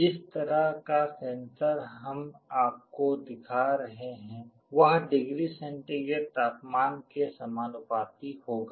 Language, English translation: Hindi, The kind of sensor that we shall be showing you, it will be proportional to the degree centigrade the temperature